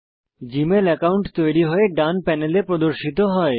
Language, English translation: Bengali, The Gmail account is created and is displayed on the right panel